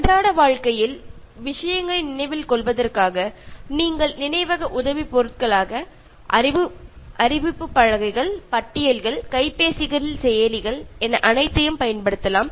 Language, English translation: Tamil, And for remembering things in day to day life you should make use of memory aids as notice boards, lists, applications, which can be used in mobiles and all that